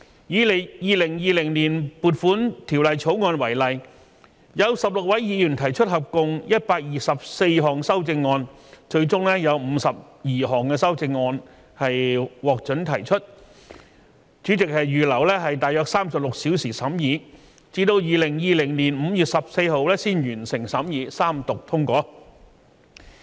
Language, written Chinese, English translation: Cantonese, 以《2020年撥款條例草案》為例，有16位議員提出合共124項修正案，最終有52項修正案獲准提出，主席預留約36小時審議，至2020年5月14日才完成審議，三讀通過。, In the example of the Appropriation Bill 2020 16 Members proposed a total of 124 amendments and at the end 52 amendments were allowed to be moved . President set aside 36 hours for Members scrutiny which could only be completed on 14 May 2020 and the Bill was passed in the Third Reading